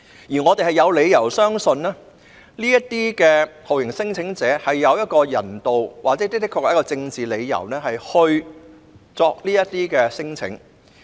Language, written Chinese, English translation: Cantonese, 因此，我們有理由相信，這些酷刑聲請者是有人道或政治理由才會提出聲請。, Therefore we have reasons to believe that these torture claimants filed their claims on humanitarian or political grounds